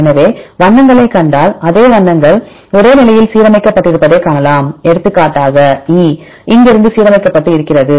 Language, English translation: Tamil, So, if you see the colors you can also you can see the same colors are aligned the same position for example if it is the E aligned up to from here to here